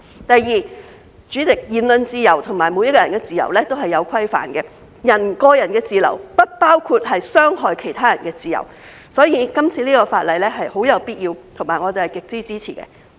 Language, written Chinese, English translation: Cantonese, 第二，主席，言論自由和每個人的自由都是有規範的，個人的自由不包括傷害其他人的自由，所以，這次修例是很有必要，而我們是極為支持的。, Second President freedom of speech and the freedom of each individual is regulated and the freedom of an individual does not include the freedom to harm others . Therefore this amendment to the legislation is highly necessary and we strongly support it